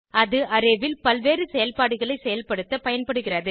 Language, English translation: Tamil, It has an index, which is used for performing various operations on the array